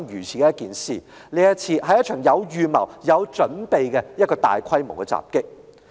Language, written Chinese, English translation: Cantonese, 這是一宗有預謀、有準備的大規模襲擊。, It was a premeditated and orchestrated attack of a massive scale